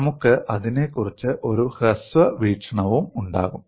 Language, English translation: Malayalam, You will also have a brief look at that